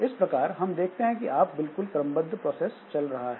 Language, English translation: Hindi, So there, there is a, so it is a purely sequential process that is going on